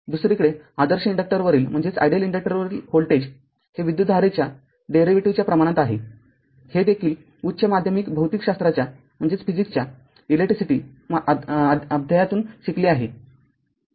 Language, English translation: Marathi, On the other hand voltage across the ideal inductor is proportional to the derivative of the current this also you have learned from your high secondary physics electricity chapter right